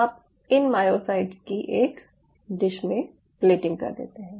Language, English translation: Hindi, then what you do: you played these myocytes on a dish